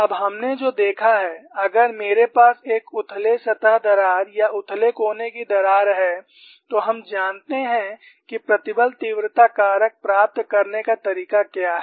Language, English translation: Hindi, What we have now looked at is, if I have a shallow surface crack or a shallow corner crack, we know what is the way to get the stress intensity factor